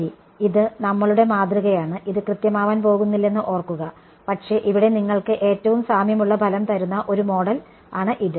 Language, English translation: Malayalam, Well this is the sort of a this is our model remember it is not going to it is not exact, but it is a model that gives you close enough results over here